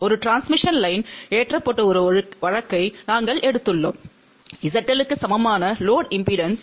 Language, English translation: Tamil, Then we have taken a case where a transmission line is loaded with the load impedance which is equal to Z L